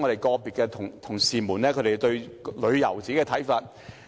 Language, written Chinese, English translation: Cantonese, 個別同事提出了他們對於旅遊的個人看法。, Certain colleagues have expressed their personal views on tourism